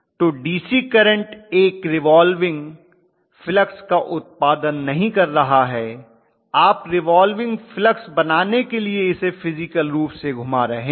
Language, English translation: Hindi, So the DC current is not producing a revolving flux, you are physically rotating it to create a revolving flux